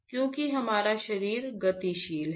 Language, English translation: Hindi, Because our body is dynamic